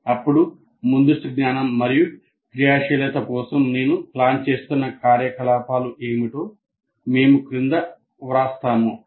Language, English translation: Telugu, Then we write below what are the activities that I am planning for activation of the prior knowledge